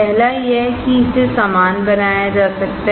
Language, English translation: Hindi, First is it can be made identical